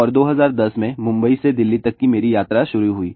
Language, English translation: Hindi, And 2010, my journey from Mumbai to Delhi started